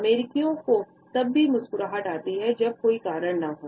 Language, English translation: Hindi, Americans seemed to smile even when there is not a very good reason to